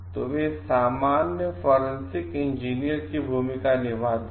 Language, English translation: Hindi, The general play the role of forensic engineers